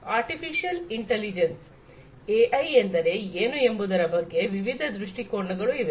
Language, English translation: Kannada, Artificial Intelligence so, there are different viewpoints of what AI is